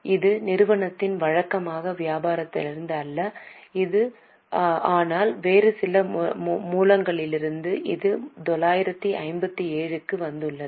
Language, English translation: Tamil, This is not from the regular business of the company but from some other sources it has come